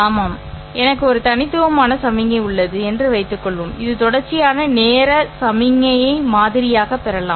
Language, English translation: Tamil, Suppose I have a discrete signal which may be obtained by sampling a continuous time signal